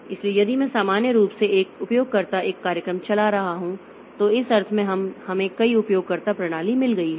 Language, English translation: Hindi, So, if I normally one user is running one program, so in that sense we have got multiple user system